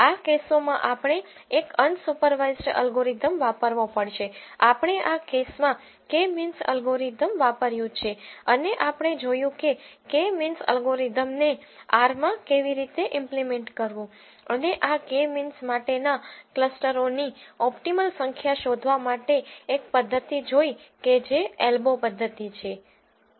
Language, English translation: Gujarati, In this case we have used K means algorithm and we have seen how to implement this K means algorithm in R and we have seen one method to find the optimal number of clusters for K means which is ELBO method